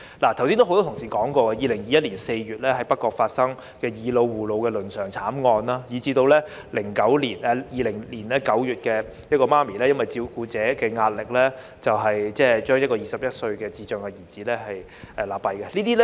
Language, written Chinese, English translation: Cantonese, 剛才有多位同事提述2021年4月在北角發生的"以老護老"倫常慘劇，以及在2020年9月，一名母親疑不堪照顧壓力而將21歲智障兒子勒斃。, A number of Honourable colleagues have just mentioned the family tragedy arising from seniors caring for seniors in North Point in April 2021 and another case happened in September 2020 in which a mother strangled her 21 - year - old son with intellectual disabilities to death probably because of the unbearable caregiving stress